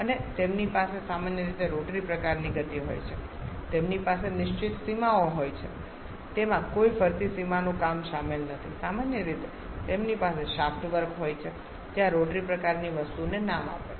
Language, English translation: Gujarati, And they generally have a rotary kind of motion they have fixed boundaries no moving boundary work involved commonly they have shaft work which gives the name this rotary kind of thing